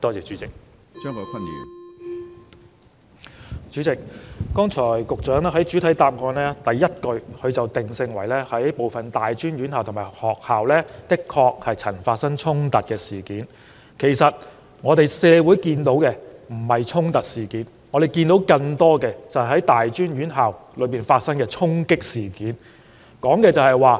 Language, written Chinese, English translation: Cantonese, 主席，局長剛才在主體答覆第一句指出，"部分大專院校及學校曾發生衝突事件"，事實上，我們看到並非發生"衝突"事件，而是在更多大專院校發生"衝擊"事件。, President the Secretary pointed out at the beginning of the main reply that confrontations have even happened in some post - secondary institutions and schools . In fact as we have seen the incidents were not confrontations . Rather more post - secondary institutions were being stormed